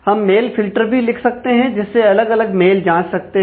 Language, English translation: Hindi, So, we can write mails filters of checking at different mails